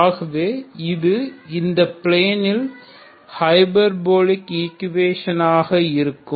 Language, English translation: Tamil, So this is a hyperbolic equation in the plane